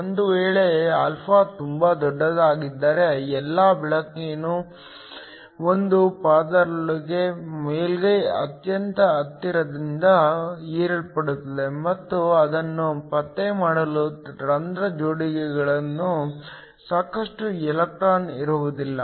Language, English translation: Kannada, If α is very large then all of the light get absorbed within a layer very close to the surface and would not have sufficient electron in hole pairs in order to be able to detect it